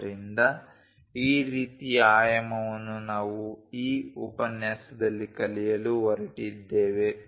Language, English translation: Kannada, So, this kind of dimensioning which we are going to learn it in this lecture